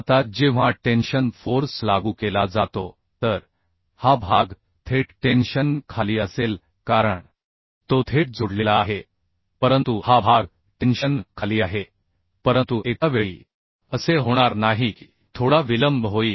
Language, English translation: Marathi, Now when the tension force is applied, so this portion will be under tension directly as it is directly connected, but this portion is under tension